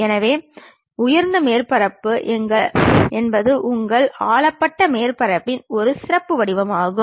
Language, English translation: Tamil, So, lofter surface is a specialized form of your ruled surface